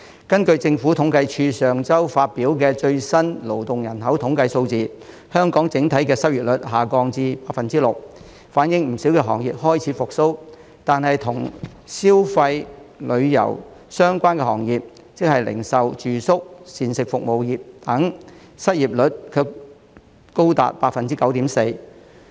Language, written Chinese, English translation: Cantonese, 根據政府統計處上周發表的最新勞動人口統計數字，香港整體失業率下降至 6%， 反映不少行業開始復蘇，但與消費及旅遊業相關的行業失業率卻仍高達 9.4%。, According to the latest labour force statistics released by the Census and Statistics Department last week the overall unemployment rate in Hong Kong dropped to 6 % reflecting the budding recovery in many sectors but the unemployment rate of the consumption - and tourism - related sectors was still as high as 9.4 %